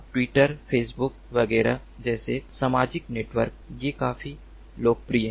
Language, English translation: Hindi, social networks like twitter, facebook, etcetera, etcetera